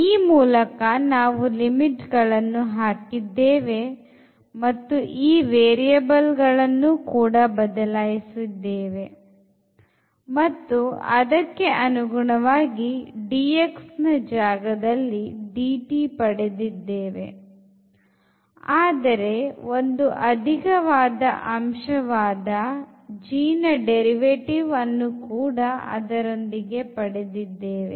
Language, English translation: Kannada, So, in that way we have also computed these new limits and we have substituted the variable and instead of this dx dt has come, but within another factor which was in terms of the derivatives of this g